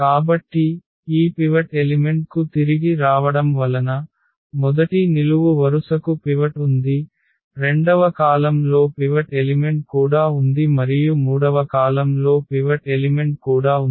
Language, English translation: Telugu, So, getting again back to this pivot elements so, the first column has a pivot, second column has also pivot element and the third column also has a pivot element